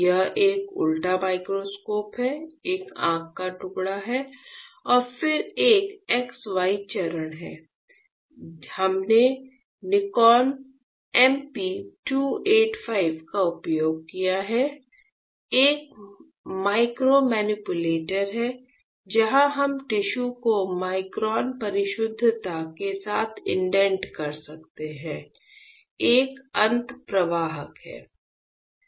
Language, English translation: Hindi, This is a inverted microscope, there is a eye piece and then there is a X Y stage, we have use Nikon MP 285 is a micromanipulators where we can indent the tissue with micron precision there is a end effector